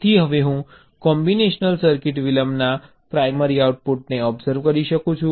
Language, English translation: Gujarati, so now i can observe the primary output of the combinational circuit